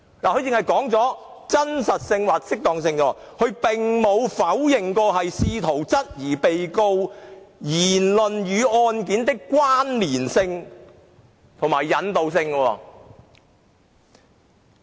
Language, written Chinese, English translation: Cantonese, 律政司只是提及"真實性或適當性"，並沒有否認試圖質疑被告人言論與案件的關連性和引導性。, DoJ only mentioned veracity or propriety but has not denied any attempt to challenge the connection and causality between the matters said by the Defendant and the case in question